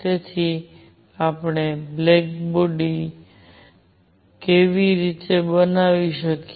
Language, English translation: Gujarati, So, that to how do we make a block body